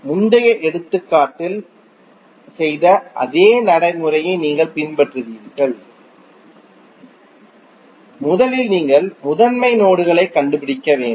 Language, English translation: Tamil, You will follow the same procedure what we did in the previous example, you have to first find out the principal nodes